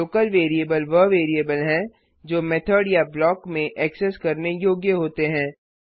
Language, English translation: Hindi, Local variables are variables that are accessible within the method or block